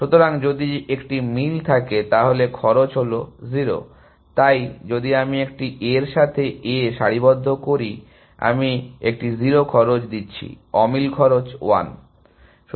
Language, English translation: Bengali, So, if there is a match, then cost is 0, so if I am aligning in A with an A, I am paying a 0 cost, mismatch cost 1